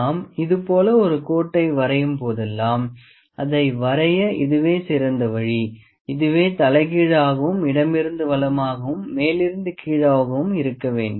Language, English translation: Tamil, Whenever we draw a line it is like this, like the best way to draw the line is this the stroke has to be upside down and from left to right, from top to bottom